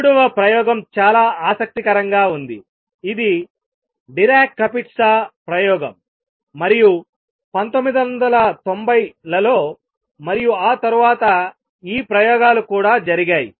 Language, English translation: Telugu, Third experiment which was very interesting which was propose way back is Dirac Kapitsa experiment and in 1990s and after that these experiments have also been performed